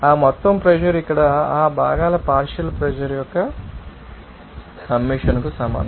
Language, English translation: Telugu, That total pressure will be equal to the summation of that partial pressure of those components here